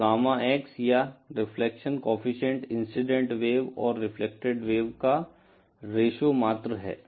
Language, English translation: Hindi, So, Gamma X or the reflection coefficient is simply the ratio of the reflected wave to the incident wave